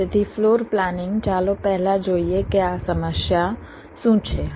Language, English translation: Gujarati, so floor planning, let us first see what this problem is all about